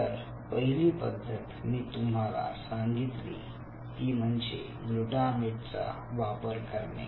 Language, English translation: Marathi, so first paradigm is, i told you about, addition of glutamate step